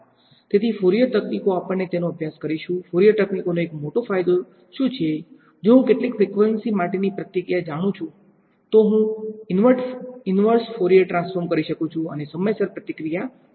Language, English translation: Gujarati, So, Fourier techniques we will study them what is the one great advantage of Fourier techniques is, if I know the response for a few frequencies I can do an inverse Fourier transform and find out the response in time